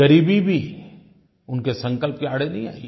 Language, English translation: Hindi, Even poverty could not come in the way of his resolve